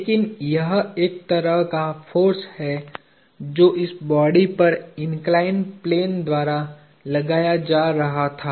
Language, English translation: Hindi, But, there is a kind of a force that was being exerted by the inclined plane on this body